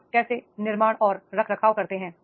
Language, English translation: Hindi, How you build and sustain